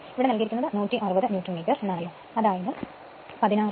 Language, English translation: Malayalam, If you see in the problem it is given 160 Newton meter right